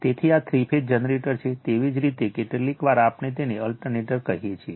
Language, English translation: Gujarati, So, this is a three phase generator, sometimes we call it is your what we call it is alternator